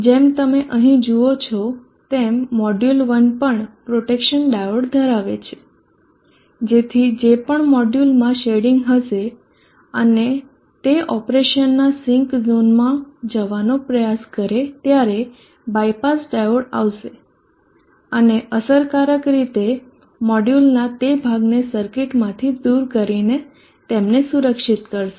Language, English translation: Gujarati, As you see here the module 1 is also having the protection diode whichever the module has shading and try to go to the sink zone of operation, the bypass diode will come and protect them effectively removing that portion of the module out of the circuit